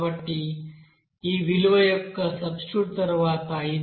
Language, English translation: Telugu, So after substitution of this value, it is coming 0